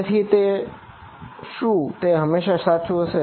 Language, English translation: Gujarati, So, is this always correct